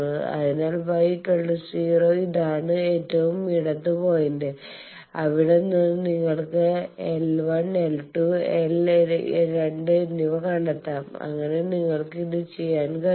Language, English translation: Malayalam, So, y bar 0 is this left most point and from there you find out L 1 and L 2, l two, so that you can do